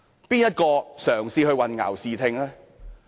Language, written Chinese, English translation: Cantonese, 誰人嘗試混淆視聽呢？, Who have sought to make grossly misleading remarks?